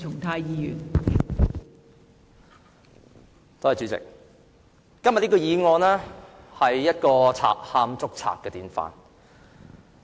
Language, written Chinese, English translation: Cantonese, 代理主席，今天的議案是"賊喊捉賊"的典範。, Deputy President the motion today is a classic presentation of a thief calling another thief as a cover - up